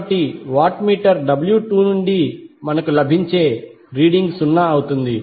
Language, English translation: Telugu, So therefore the reading which we get from watt meter W 2 will be 0